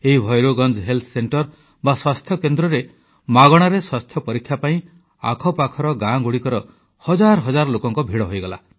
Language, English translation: Odia, At this Bhairavganj Health Centre, thousands of people from neighbouring villages converged for a free health check up